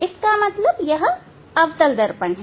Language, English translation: Hindi, it is concave mirror